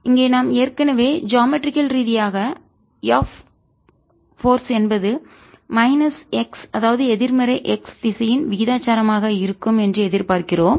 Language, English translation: Tamil, so we already anticipate geometrically that the force f is going to be proportional to minus x or in the negative x direction